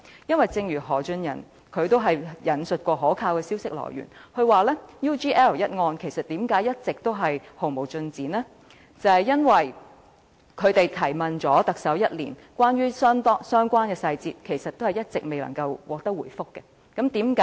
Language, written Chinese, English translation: Cantonese, 因為正如何俊仁亦曾引述可靠的消息來源，解釋 UGL 一案一直毫無進展的原因，正在於即使已向特首查詢相關細節，但卻整整一年也未能得到相關的答覆。, As explained by Albert HO who has cited information from some reliable sources as illustration the lack of progress of the investigation into the UGL incident can be attributed to the unavailability of a reply one whole year after questions have been put to the Chief Executive to enquire about the details of the case